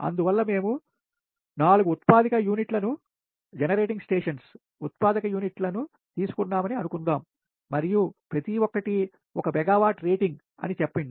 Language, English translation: Telugu, suppose we are taking four generating units and each one is having is rating is one megawatt, say, right